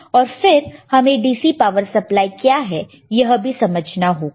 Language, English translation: Hindi, And then we should also know what are the DC power supply